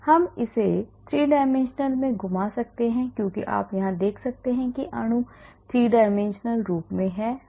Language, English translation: Hindi, we can rotate it in 3d as you can see here now the molecule is in 3d form